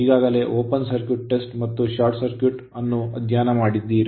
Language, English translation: Kannada, Already we have studied open circuit test and short circuit right